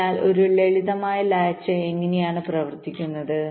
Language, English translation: Malayalam, ok, so this is how a simple latch works